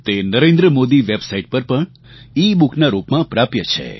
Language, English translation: Gujarati, This is also available as an ebook on the Narendra Modi Website